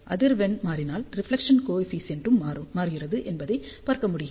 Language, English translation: Tamil, And you can see that as frequency changes reflection coefficient is varying